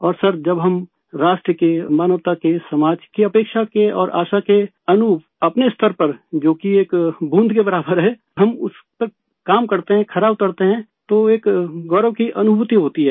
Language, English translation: Hindi, And sir, when according to the expectation and hope of the nation, humanity and society, we function at our optimum which is equal to a drop of water, we work according to those standards and measure upto them, then there is a feeling of pride